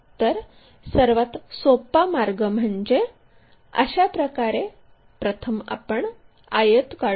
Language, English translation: Marathi, So, the easiest way is begin it in such a way that we will be drawing a rectangle